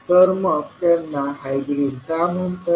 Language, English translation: Marathi, So why they are called is hybrid